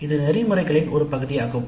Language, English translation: Tamil, This is also part of the ethics